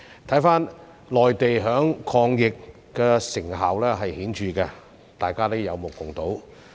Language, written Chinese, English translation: Cantonese, 回看內地，抗疫成效顯著，這是大家有目共睹的。, Yet when we look at the situation in the Mainland the remarkable results of its anti - epidemic efforts are obvious to all